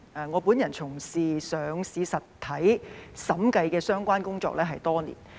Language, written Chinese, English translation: Cantonese, 我本人從事上市實體審計相關工作多年。, I have engaged in audit - related work for listed entities for many years